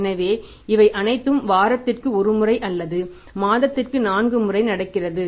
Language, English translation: Tamil, So, this is all happening once a week or four times a month